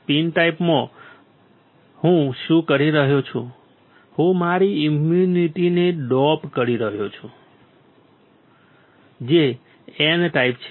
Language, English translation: Gujarati, In P type, what I am doing, I am doping my impunity which is N type